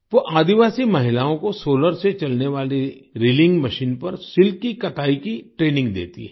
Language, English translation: Hindi, She trains tribal women to spin silk on a solarpowered reeling machine